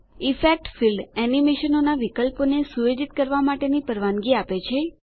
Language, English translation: Gujarati, The Effect field allows you to set animations options